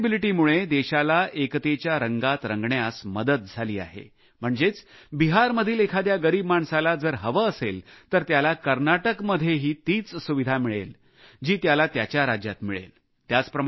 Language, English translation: Marathi, This portability of the scheme has also helped to paint the country in the color of unity, which means, an underprivileged person from Bihar will get the same medical facility in Karnataka, which he would have got in his home state